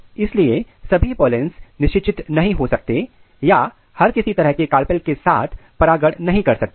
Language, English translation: Hindi, So, all the pollens cannot fertilize or cannot pollinate with any kind of carpel